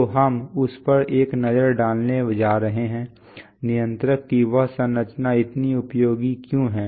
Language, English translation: Hindi, So we are going to have a look at that, why that structure of the controller is so useful